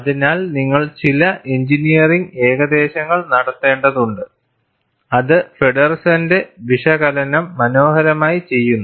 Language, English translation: Malayalam, So, you need to make certain engineering approximation, which is beautifully done by Feddersen’s analysis